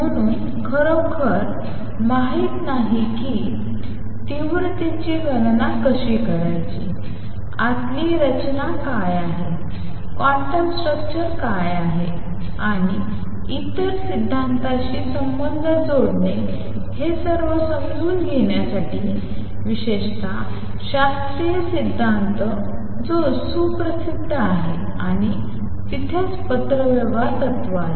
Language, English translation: Marathi, So, we do not really know; how to calculate intensities, what is the structure inside, what is the quantum structure and to understand all that one had to make connections with other theories particularly classical theory which is well known and that is where the correspondence principle came in